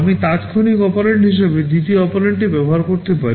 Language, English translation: Bengali, I can use the second operand as an immediate operand